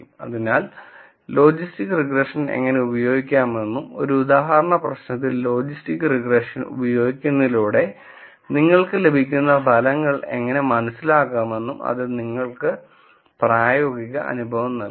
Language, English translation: Malayalam, So, that will give you the practical experience of how to use logistics regression and how to make sense out of the results that you get from using logistics regression on an example problem